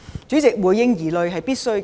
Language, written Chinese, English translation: Cantonese, 主席，回應疑慮是必須的。, President the Government must respond to our concerns